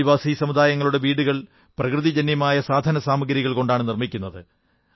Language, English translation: Malayalam, Tribal communities make their dwelling units from natural material which are strong as well as ecofriendly